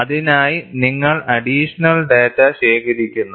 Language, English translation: Malayalam, So, you are collecting additional data